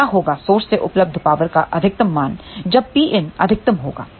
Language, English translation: Hindi, So, what will be the maximum value of the power available from the source when P input will be maximum